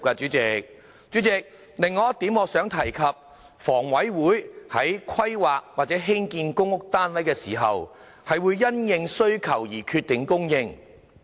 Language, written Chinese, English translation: Cantonese, 主席，我想提出的另一點是，香港房屋委員會在規劃或興建公屋單位時，是會因應需求決定供應。, President another point that I would like to raise is that HA determines the amount of supply in the light of demand when planning or building PRH